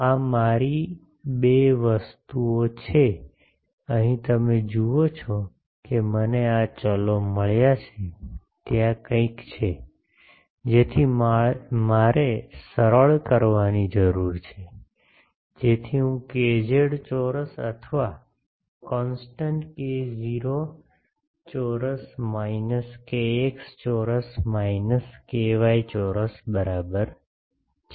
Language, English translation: Gujarati, So, these are my two things, here you see I have got this variables there is something so I need to simplify, so that I am doing by letting kz square is equal to this constant k not square minus k x square minus k y square